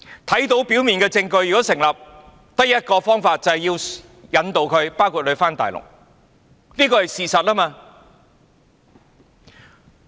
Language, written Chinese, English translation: Cantonese, 如果表面證據成立，便只有一個做法，也就是引渡他回大陸，這是事實。, If a prima facie case is established they can do only one thing and that is to extradite the person concerned to the Mainland and this is a fact